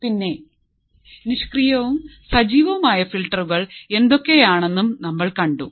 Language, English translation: Malayalam, So, and we have also seen what are the passive and active filters